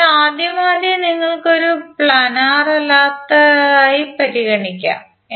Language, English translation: Malayalam, So, at the first instance you will consider it as a non planar